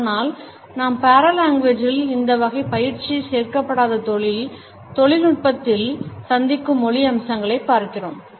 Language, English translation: Tamil, But in paralanguage we look at those aspects of language which we come across in those professionals where this type of training is not included